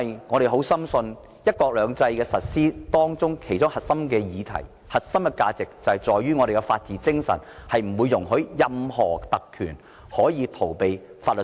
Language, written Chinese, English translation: Cantonese, 我們深信，"一國兩制"的實施和香港的核心價值在於法治精神，是不容許任何特權逃避法律責任的。, We firmly believe that the implementation of one country two systems is premised on the rule of law which a core value of Hong Kong . We do not allow anyone to have the privilege to be above the law